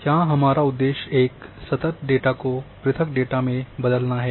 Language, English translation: Hindi, Basically the purpose here is changing a continuous data into a discrete data